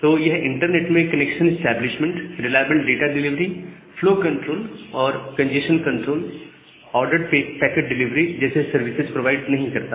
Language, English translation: Hindi, So, it doesn’t provide any of the services like this connection establishment, reliable data delivery, flow control and congestion control, ordered packet delivery all these things in the network